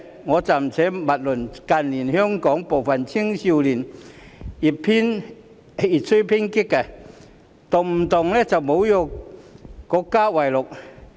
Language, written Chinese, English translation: Cantonese, 我暫且勿論近年香港部分青少年越趨偏激，動不動以侮辱國家為樂。, I will put aside the fact that in recent years some young people in Hong Kong have become increasingly radical and found joy in insulting the country